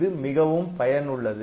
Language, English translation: Tamil, So, this is very much useful